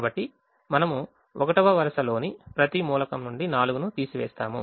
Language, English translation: Telugu, so we subtract four from every element of the first row